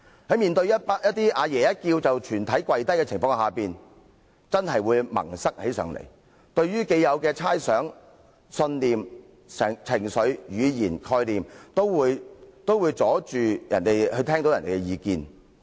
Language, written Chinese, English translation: Cantonese, 在面對"阿爺"一叫便全體跪低的情況時，某些人真的會變得"萌塞"，既有的猜想、信念、情緒、語言、概念，都會阻礙他們聽取別人的意見。, In situations where everyone may kneel at a word from Grandpa some people will really become stubborn . Existing speculations beliefs emotions comments and concepts may stop them from listening to others opinions